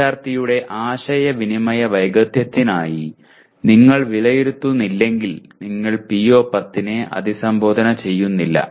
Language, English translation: Malayalam, If you are not evaluating the student for his communication skills then you are not addressing PO10 at all